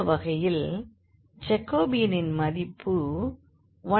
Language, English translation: Tamil, So, the Jacobian value in this case is minus half